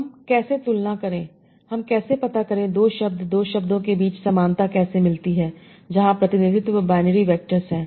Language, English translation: Hindi, So how do I compare or how do I find similarity between two words where the repetition is binary vectors